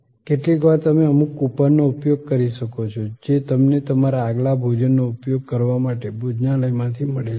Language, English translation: Gujarati, Sometimes you may be using some coupon, which you have received from the restaurant for using your next meal